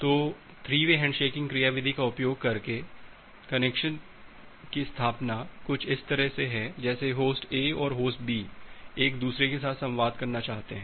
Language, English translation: Hindi, So, the connection establishment using 3 way handshaking mechanism that is something like this, like Host A and Host B wants to communicate with each other